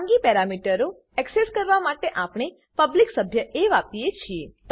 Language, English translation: Gujarati, To access the private parameter we used the public member a